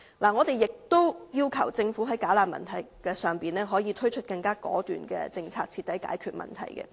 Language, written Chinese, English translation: Cantonese, 我們亦要求政府在"假難民"的問題上推出更果斷的政策，徹底解決問題。, We also request the Government to introduce a more decisive policy in respect of bogus refugees to thoroughly resolve the problem